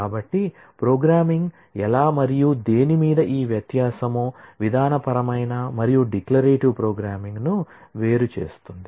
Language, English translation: Telugu, So, this distinction between how and what of programming differentiates procedural and declarative programming